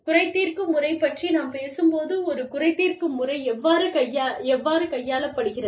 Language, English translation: Tamil, When we talk about, the grievance procedure, how is a grievance procedure, handled